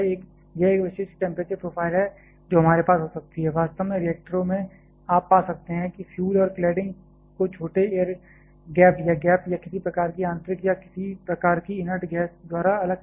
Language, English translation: Hindi, This is a typical temperature profile that we may have, actually in reactors you may find that the fuel and cladding are separated by small air gap or gap or by some kind of a inner or some kind of inert gas